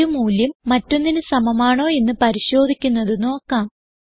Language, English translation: Malayalam, Now let us see how to check if a value is equal to another